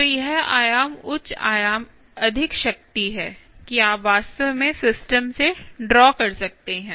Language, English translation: Hindi, so this amplitude, higher than amplitude more, is the power that you can actually draw from the system